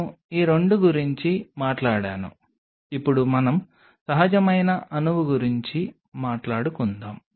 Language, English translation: Telugu, I have talked about these 2 now let us talk about a natural molecule